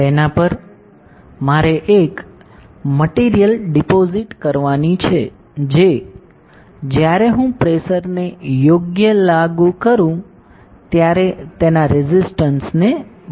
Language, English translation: Gujarati, On that I have to deposit a material which will change its resistance when I apply a pressure correct